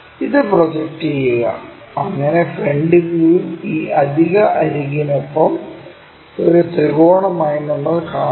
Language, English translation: Malayalam, Project it, so that in the front view we will see it like a triangle along with this additional edge